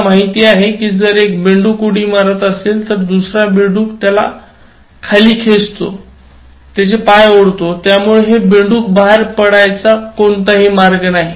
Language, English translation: Marathi, You know if one frog jumps, the other frog will pull it down, so one frog jumps, the other will pull it down, so there is no way these frogs will jump out